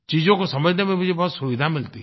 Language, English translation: Hindi, That helps me a lot in understanding things